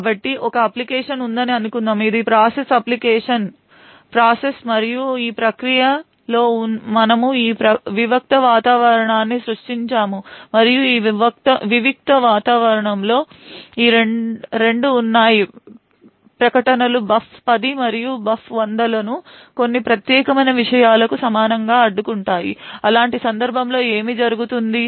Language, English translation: Telugu, us assume that we have this application, this is the process application process and within this process we have created this isolated environment and in this isolated environment there are these two statements interrupt buf 10 and buf 100 equal to some particular thing, what would happen in such a case